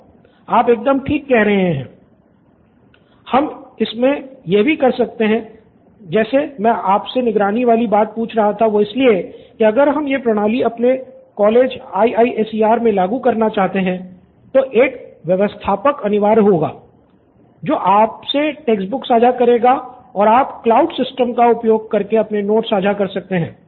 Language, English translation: Hindi, Right, we can also…why I was asking about the monitoring part is, if we want to incorporate this systems in our college like IISER there would be an admin who will be sharing the textbooks to you and you can put up your notes into that cloud system as well